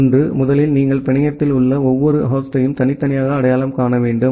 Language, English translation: Tamil, One is first you have to uniquely identify every individual host in the network